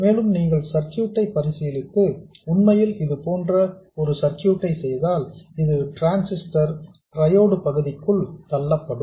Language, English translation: Tamil, And you can consider this circuit and see that if you do actually make a circuit like this, this transistor will get pushed into the triode region